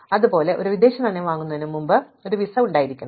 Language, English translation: Malayalam, Similarly, you must buy a, have a visa before you buy foreign exchange